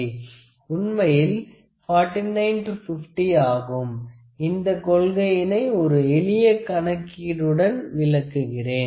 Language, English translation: Tamil, So, this is actually 49 to 50, I will like to explain this principle by using a most simple calculation